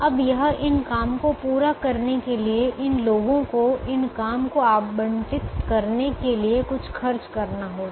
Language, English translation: Hindi, now this to to carry out these jobs, it's going to cost something to allocate these jobs to these people